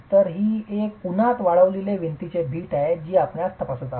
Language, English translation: Marathi, So, it is a sun dried brick wall that we are examining